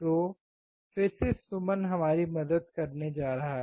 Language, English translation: Hindi, So, again Suman is going to help us